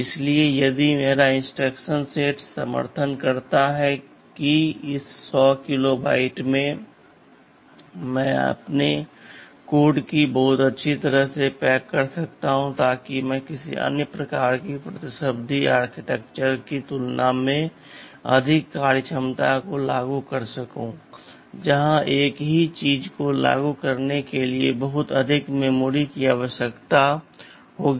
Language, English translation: Hindi, So, if my instruction set supports that in this 100 kilobytes, I can pack my code very nicely, so that I can implement more functionality greater functionality as compared with some kind of competing architecture where a much more memory would be required to implement the same thing